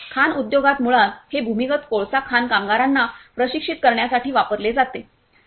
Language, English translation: Marathi, In mining industry basically it is used to train the underground coal miners, whenever they are going to a very complex area